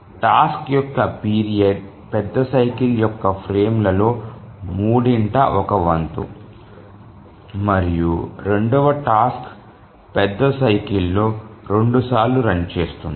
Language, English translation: Telugu, So the period of the task is one third of the frames of the major cycle and the second task runs two times during the major cycle